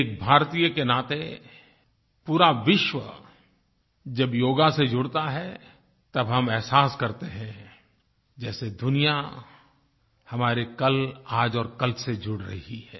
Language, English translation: Hindi, As an Indian, when we witness the entire world coming together through Yoga, we realize that the entire world is getting linked with our past, present and future